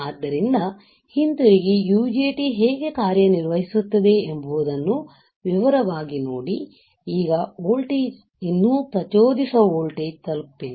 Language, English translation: Kannada, So, go back and see in detail how the UJT works now the voltage is not the yet reached the triggering voltage